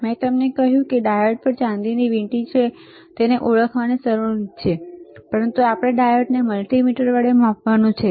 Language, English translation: Gujarati, I told you there is a silver ring on the diode that is easy way of identifying it, but we have to measure the diode with the multimeter